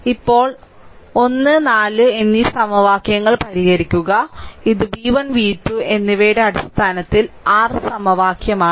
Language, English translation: Malayalam, Now solve equation 1 and 4; this is your equation one right in terms of v 1 and v 2 solve equation 1 and 4, right